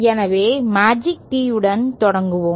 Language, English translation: Tamil, So, let us start with the magic tee